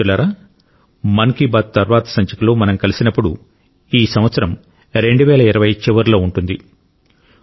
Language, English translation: Telugu, Friends, the next time when we meet in Mann Ki Baat, the year 2020 will be drawing to a close